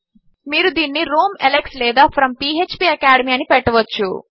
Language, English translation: Telugu, You can put this as from Alex or from phpacademy